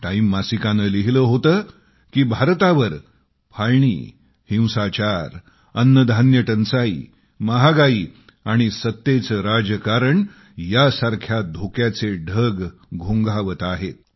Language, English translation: Marathi, Time Magazine had opined that hovering over India then were the dangers of problems like partition, violence, food scarcity, price rise and powerpolitics